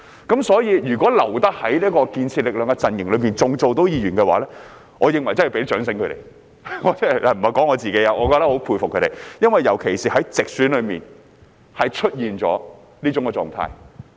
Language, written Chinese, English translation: Cantonese, 因此，那些還能夠留在建設力量陣營擔任議員的，我認為真的要給他們掌聲——我不是說我自己——我很佩服他們，尤其是在直選中出現了這種狀態。, Therefore for Members who still manage to stay in the camp of constructive force I think I really have to give them a round of applause―I am not referring to myself―I really admire them particularly those facing this situation in direct election